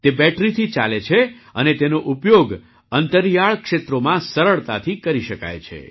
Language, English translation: Gujarati, It runs on battery and can be used easily in remote areas